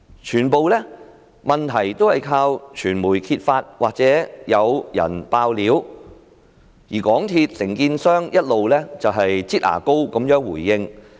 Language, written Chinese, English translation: Cantonese, 全部問題都是靠傳媒揭發，或者有人"爆料"，而港鐵公司的承建商一直"擠牙膏"式地回應。, All the problems were exposed by the media or by whistle - blowers whereas the contractor of MTRCL has responded like they are squeezing toothpaste out of a tube